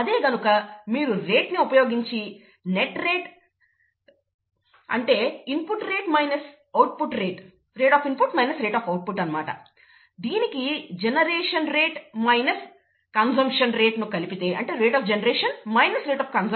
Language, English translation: Telugu, Whereas, if you take the rate route, the net rate is nothing but the rate of input minus the rate of output, plus the rate of generation minus the rate of consumption, okay